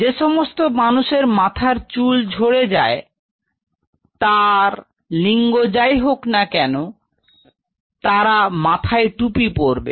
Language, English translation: Bengali, And specially those people who have hair falls irrespective of the gender should put the cap